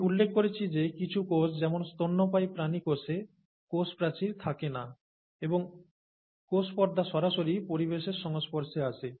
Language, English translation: Bengali, And some cells such as, as I mentioned, the mammalian cells are cells, do not have a cell wall and the plasma membrane is directly exposed to the environment